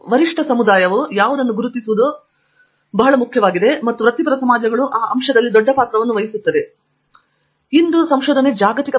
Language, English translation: Kannada, So, identifying what is your peer community is very important and I think professional societies play a big role in that aspect and you have something to say Andrew